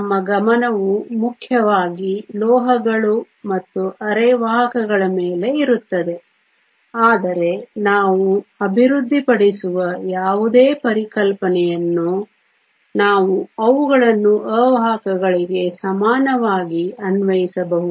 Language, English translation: Kannada, Our focus will be mainly on metals and semiconductors, but whatever concepts we develop we can equally apply them to insulators